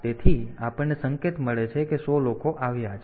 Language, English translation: Gujarati, So, we get an indication that 100 people have arrived